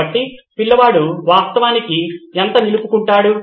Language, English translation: Telugu, So how much does the child actually retain